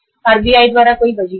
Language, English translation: Hindi, There is no stipulation by the RBI